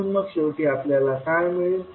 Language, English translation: Marathi, So finally, what we get